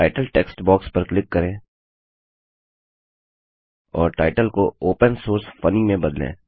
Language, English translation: Hindi, Click on the Title text box and change the title to Opensource Funny